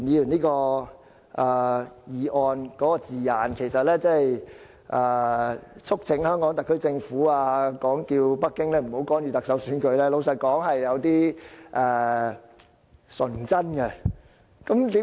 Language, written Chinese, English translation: Cantonese, 老實說，促請香港特區政府叫北京不要干預特首選舉，是有點純真的。, To be frank it is somewhat naive to urge the Government of the Hong Kong Special Administrative Region to request Beijing not to interfere in the Chief Executive Election